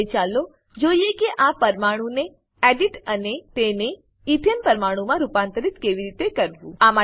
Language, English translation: Gujarati, Now lets see how to edit this molecule and convert it to Ethane molecule